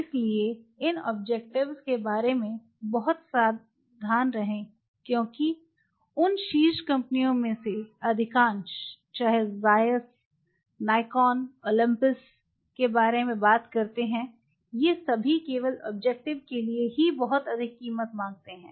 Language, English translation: Hindi, So, be very careful on this because these objectives most of that top companies whether you talk about Zeiss Nikon ailanthus all of them charges a fortune for individual objective